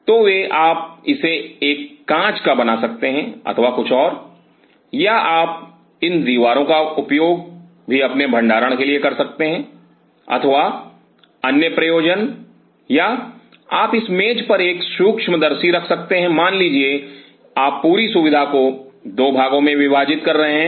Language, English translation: Hindi, So, they can you can make it a glass or something, or you can use even these walls for your storage or other purpose or you can keep a microscope on this tables suppose you are splitting the whole facility into 2 parts